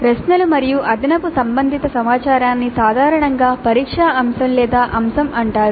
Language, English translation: Telugu, Questions plus additional related information is generally called as a test item or item